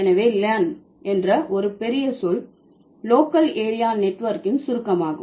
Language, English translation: Tamil, So, Lan is a word, this is an acronym of a bigger word, local area network